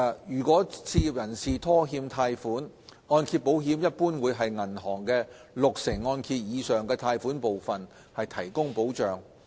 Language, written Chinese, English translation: Cantonese, 如果置業人士拖欠貸款，按揭保險一般會為銀行六成按揭以上的貸款部分提供保障。, The mortgage insurance aims to protect participating banks from losses in general on the portion of the loan over the 60 % LTV threshold due to mortgage default by the borrowers